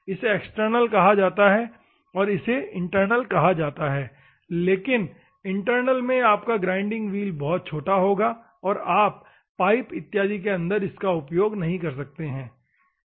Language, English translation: Hindi, This is called external, this is called internal, but in an internal, your grinding wheel will be very small, and you can use inside a pipe or something, ok